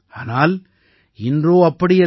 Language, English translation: Tamil, But today it is not so